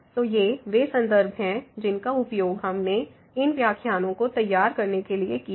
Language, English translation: Hindi, So, these are the references which we have used to prepare these lectures